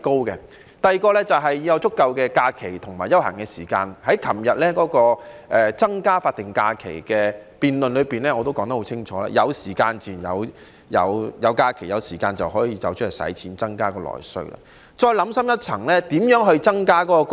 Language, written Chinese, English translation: Cantonese, 此外，"打工仔"要有足夠的假期和休閒時間，我昨天在增加法定假期的議案辯論中清楚指出，有假期、有時間的話，"打工仔"自然會出外花費，增加內需。, Moreover wage earners must have sufficient holidays and leisure time . During yesterdays motion debate on increasing the number of statutory holidays I clearly pointed out that if wage earners have sufficient holidays and time they will naturally go out to spend money and boost domestic demand